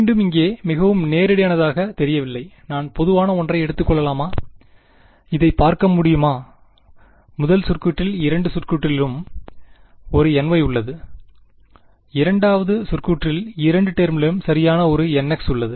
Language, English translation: Tamil, Again still does not look very very straightforward over here, can I take something common from, can I looking at this the first term has a n y in both the terms, the second term has a n x in both the terms right